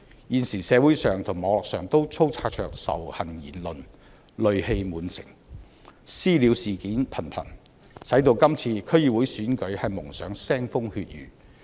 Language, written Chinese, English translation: Cantonese, 現時社會和網絡上充斥着仇恨言論，戾氣滿城，"私了"事件頻頻，為今次區議會選舉蒙上腥風血雨。, Our present society and the Internet are laden with hate speeches antagonistic sentiment prevails and incidents of vigilante attacks are frequent hence an atmosphere of fear is looming over the DC Election